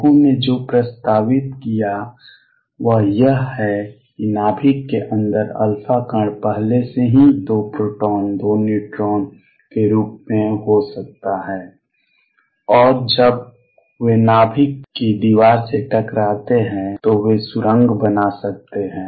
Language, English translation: Hindi, What people proposed is that inside the nucleus the alpha particle maybe already in the form of 2 protons 2 neutrons, and when they hit the wall of the nucleus then they can tunnel through